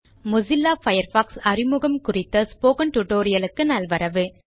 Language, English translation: Tamil, Welcome to the Spoken tutorial on Introduction to Mozilla Firefox